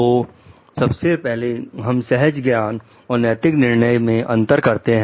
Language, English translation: Hindi, So, first we will try to differentiate between intuition and ethical judgment